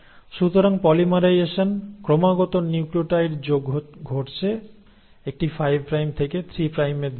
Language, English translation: Bengali, So the polymerisation, adding in of successive nucleotides is happening in a 5 prime to 3 prime direction